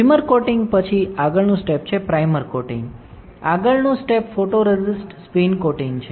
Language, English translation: Gujarati, After primer coating, next step is, primer coating, next step is photoresist spin coating